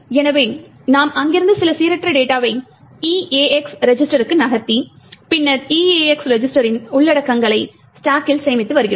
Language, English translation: Tamil, So, we are taking some random data from there moving it to the EAX register and then storing the contents of the EAX register into the stack